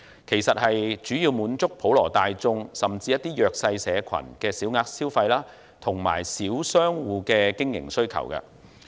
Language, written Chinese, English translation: Cantonese, 服務主要為滿足普羅大眾，甚至一些弱勢社群的小額消費和小商戶的經營需要。, The service primarily meets the needs of the general public and particularly the small sum consumption needs of some underprivileged people and the operational needs of small businesses